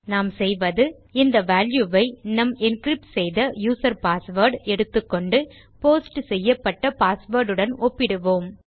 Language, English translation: Tamil, Anyway what well do is well be taking this value here our user password encrypted and well compare our posted password to our encrypted password